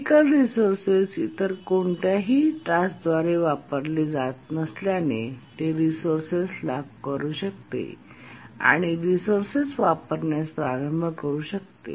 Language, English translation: Marathi, And since the critical resource was not being used by any other task, it could lock the resource and started using the resource